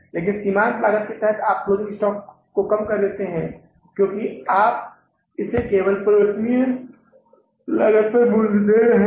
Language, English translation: Hindi, But under the marginal costing you are valuing the closing stock lesser because you are valuing it only on the variable cost